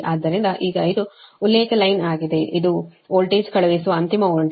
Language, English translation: Kannada, so now this is your reference line, this is the voltage, sending end voltage